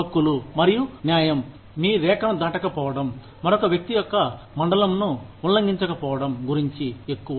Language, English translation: Telugu, Rights and justice are more about, not crossing your line, not infringing upon, another person